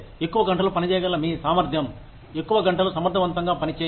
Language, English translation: Telugu, Your ability to work for longer hours, work efficiently for longer hours